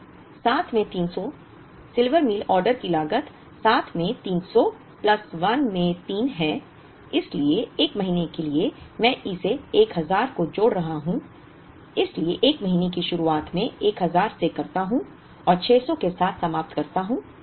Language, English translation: Hindi, So, 7 into 300 so, Silver Meal order cost is 7 into 300 plus 1 by 3 into so, for the 1st month I am combining this 1000 so 1st month I begin with 1000 and I end with 600